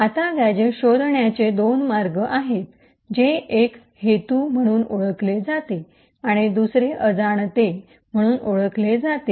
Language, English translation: Marathi, Now there are two ways gadgets can be found one is known as intended and the other is known as unintended